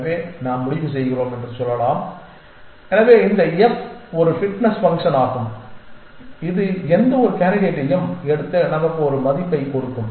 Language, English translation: Tamil, So, let us say we decide so this f is a fitness function which will take any candidate and give us a value